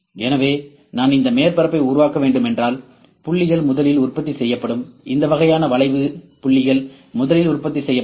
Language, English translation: Tamil, So, if I need to produce this surface the points would be produced first, this kind of curve the points would be produced first